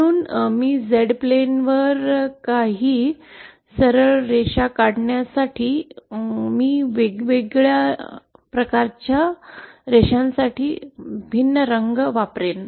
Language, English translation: Marathi, So if I draw some straight lines on the Z plane, IÕll use a different color for different types of lines